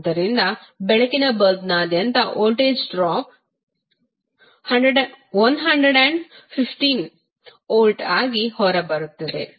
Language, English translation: Kannada, So, voltage drop across the light bulb would come out to be across 115 volt